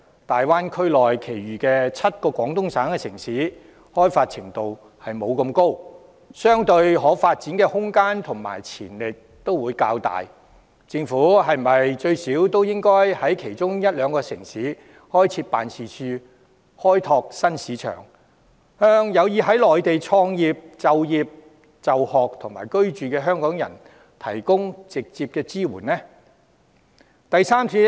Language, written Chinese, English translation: Cantonese, 大灣區內其餘7個廣東省城市開發程度較低，相對可發展的空間和潛力也會較大，政府是否最少應在其中一兩個城市開設辦事處，以便開拓新市場，向有意在內地創業、就業、就學和居住的香港人提供直接支援？, As the remaining seven cities of the Guangdong Province included in the Greater Bay Area are relatively less developed they have relatively more room and potential for development . Should the Government at least set up offices in at least one or two of those cities so as to open up new markets and provide direct assistance to Hong Kong people who wish to start a business work study and reside on the Mainland?